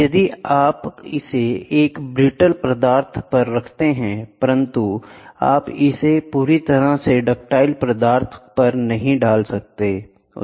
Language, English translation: Hindi, If you put it on a brittle material, you will not be able to do when if you put it on a completely ductile material